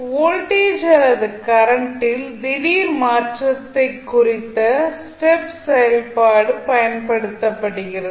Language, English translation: Tamil, Now, step function is used to represent an abrupt change in voltage or current